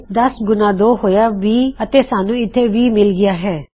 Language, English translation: Punjabi, 10 times 2 is 20 and weve got 20